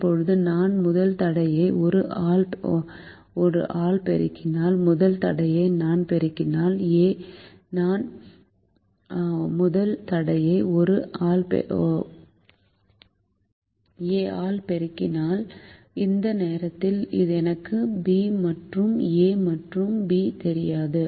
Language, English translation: Tamil, now i am going to say that if i multiply the first constraint by a, by a, if i multiply the first constraint by a, i multiply the first constraint by a, i multiply the second constraint by b